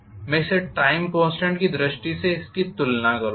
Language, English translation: Hindi, Again I will compare this in terms of time constant